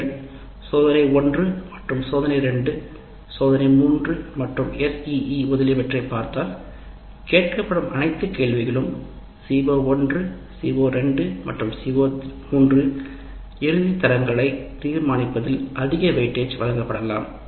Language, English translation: Tamil, Then what happens if you look at the test 1 and test 2, test 3 and SE, if you look at all the questions that are asked in that, there is a possibility that C O 1, CO2 and CO3 are likely to be given excess weight age in deciding the final grades